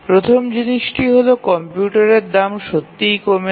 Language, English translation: Bengali, The first thing is or the most important thing is that the prices of computers have really fallen